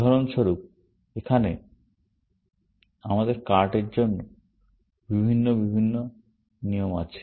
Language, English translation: Bengali, For example, here, we have for the card, some different rules